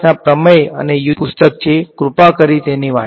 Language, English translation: Gujarati, It is a very nice readable book, please have a read through it